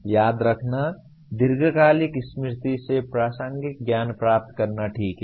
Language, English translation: Hindi, Remembering is retrieving relevant knowledge from the long term memory okay